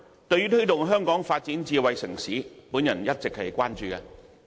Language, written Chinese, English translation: Cantonese, 對於推動香港發展智能城市，我一直關注。, I have long been concerned about the promotion of smart city development in Hong Kong